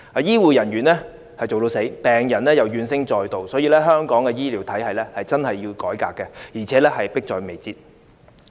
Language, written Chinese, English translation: Cantonese, 醫護人員筋疲力竭，病人亦怨聲載道，所以香港的醫療體系改革真的有需要，而且迫在眉睫。, It is a torture for patients to suffer the pain of everlasting waiting . The healthcare personnel is exhausted; patients are filled with discontent . Hence there is a genuine and urgent need for a healthcare system reform